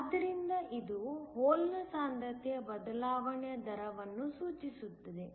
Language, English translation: Kannada, So, this just denotes the rate of change of hole concentration